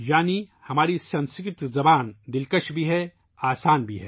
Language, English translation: Urdu, That is, our Sanskrit language is sweet and also simple